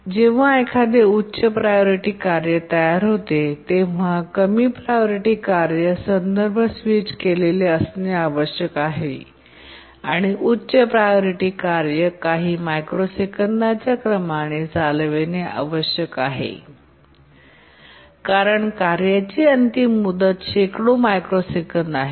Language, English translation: Marathi, When a high priority task becomes ready, the low priority task must be context switched and the high priority task must run and that should be of the order a few microseconds because the task deadline is hundreds of microseconds